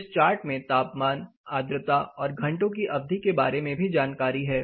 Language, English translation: Hindi, Apart from this, this chart also has information about temperature humidity and the number of hours